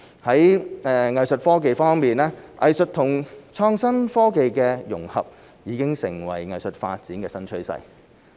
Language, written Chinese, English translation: Cantonese, 在藝術科技方面，藝術與創新科技的融合已成為藝術發展的新趨勢。, In the area of Art Tech the integration of arts with innovation and technology has become a new trend in arts development